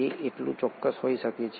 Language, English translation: Gujarati, It can be that specific